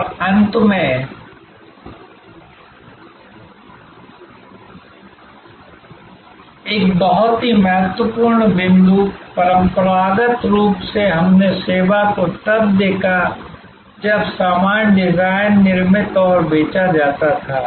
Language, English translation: Hindi, And lastly, a very important point that traditionally we looked at service after the goods were manufactured designed and manufactured and sold service was thought off